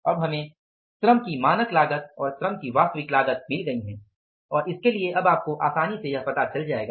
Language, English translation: Hindi, We have got now the standard cost of labor and the actual cost of the labor and for this you will have to now easily find out both the costs are available with us